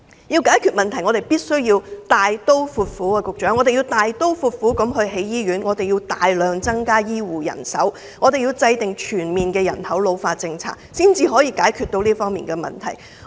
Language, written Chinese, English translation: Cantonese, 要解決問題，我們必須大刀闊斧，局長，我們要大刀闊斧地興建醫院，我們要大量增加醫護人手，我們要制訂全面的人口老化政策，才能解決這方面的問題。, Secretary we have to be decisive in building hospitals . We need to substantially increase healthcare manpower and formulate a comprehensive policy for an ageing population . This is the way to address these issues